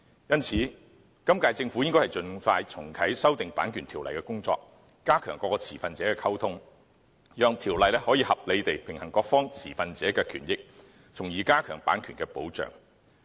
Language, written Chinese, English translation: Cantonese, 因此，今屆政府應盡快重啟修訂《版權條例》的工作，加強各持份者的溝通，讓《版權條例》可以合理地平衡各持份者的權益，從而加強版權的保障。, Hence the incumbent Government should restart the work on amending CO as soon as possible and enhance communication among stakeholders so that CO can reasonably balance the interests of stakeholders and enforce copyright protection